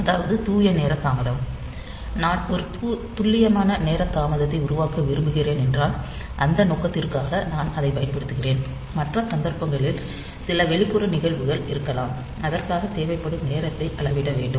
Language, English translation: Tamil, So, pure time delay; so, I can say that these are basically I want to produce a precise time delay, and for that purpose I am using it, in other cases there may be some external event and for which we want to measure the time that is needed